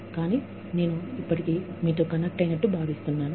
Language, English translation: Telugu, But, I still, feel connected to you